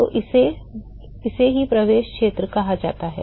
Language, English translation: Hindi, So, this is what is called the entry region